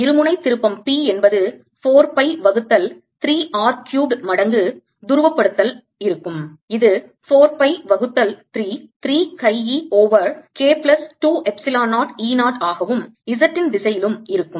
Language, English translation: Tamil, dipole moment p will be equal to four pi by three r cubed times the polarization, which is four pi by three, three chi, e over k plus two epsilon, zero, e, zero in the z direction